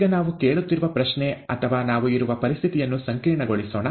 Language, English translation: Kannada, Now let us complicate the question that we are asking or the situation that we are in